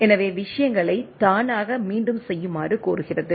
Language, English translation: Tamil, So, it is requesting for a automatic repeat of the things